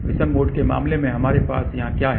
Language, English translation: Hindi, In case of odd mode what we have here